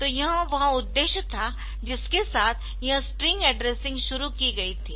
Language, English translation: Hindi, So, this was the objective with which this string addressing was introduced